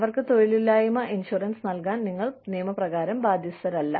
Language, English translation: Malayalam, You do not need to give them, unemployment insurance